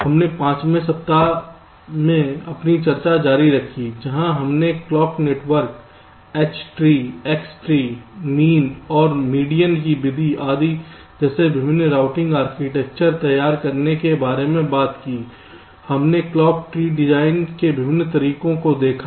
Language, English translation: Hindi, so we continued our discussion in week five where we talked about how to design the clock networks, various clock routing architectures like h tree, x tree, method of means and medians, etcetera, and we looked at the various methods of clock tree design and the kind of hybrid approaches that are followed to minimize the clocks skew